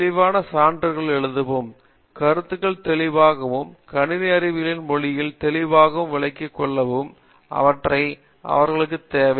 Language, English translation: Tamil, We just need them to write the proof clearly, write the concepts clearly, and explain the concept clearly in the language of computer science